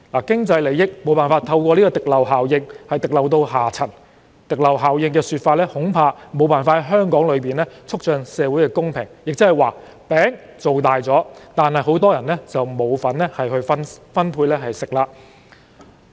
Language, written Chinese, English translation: Cantonese, 經濟利益無法透過滴漏效應滴漏到下層，因此，這效應恐怕無法在香港促進社會公平，亦即是說，"餅"造大了，但很多人卻沒有吃的份兒。, When economic gains cannot trickle down to the lower class through the trickle - down effect I am afraid this effect is unable to contribute to social equity in Hong Kong . By this I mean many people get no share of the pie even though it has been made bigger